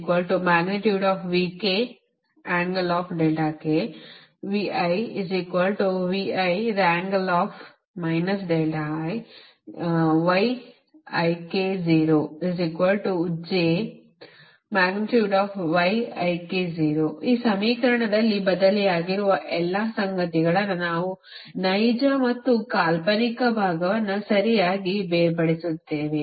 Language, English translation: Kannada, now, question is: in this equation you will separate real part, an imaginary part